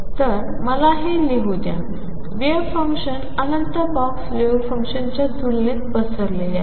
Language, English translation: Marathi, So, let me write this: the wave function is spread out compared to the infinite box wave function